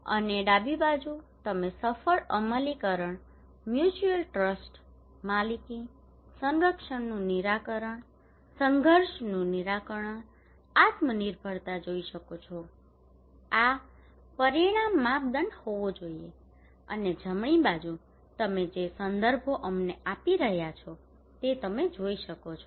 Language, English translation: Gujarati, And the left hand side you can see successful implementation, mutual trust, ownership, conflict resolution, self reliance this should be the outcome criterion and right hand side you can see the references we give